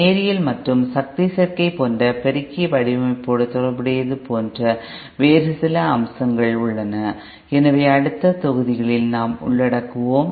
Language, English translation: Tamil, There are some other aspects like associated with amplifier design like linearity and power combination, so that we will be covering in the next modules